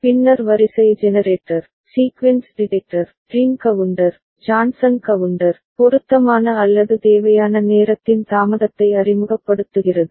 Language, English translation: Tamil, Then sequence generator, sequence detector, ring counter, Johnson counter, introducing delay of appropriate or required time